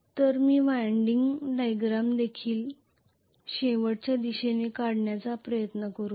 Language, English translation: Marathi, So let me try to draw the winding diagram also towards the end